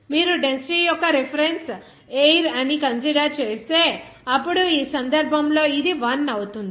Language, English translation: Telugu, If you are considering that, the density of reference is water, then, in this case, it will be 1